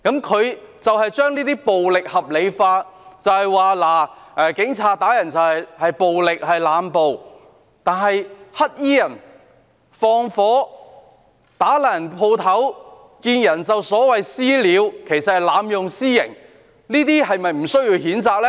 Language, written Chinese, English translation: Cantonese, 他將這些暴力合理化，說警察打人是濫暴，但是，"黑衣人"縱火、破壞商鋪、"私了"——其實是濫用私刑——這些是否不需要譴責呢？, He rationalized such violence alleging that the Police had abused the use of force in assaulting people . However the black - clad people set fire vandalized shops and launched vigilante attacks―which were in fact extrajudicial punishment―Do these need no condemnation?